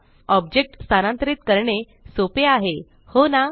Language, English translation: Marathi, Moving objects is simple, isnt it